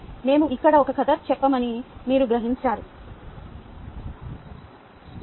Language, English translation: Telugu, also, did you realize that we have told a story here